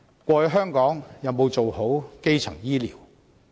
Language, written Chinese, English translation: Cantonese, 過去香港有沒有做好基層醫療呢？, Is Hong Kongs primary health care satisfactory all along?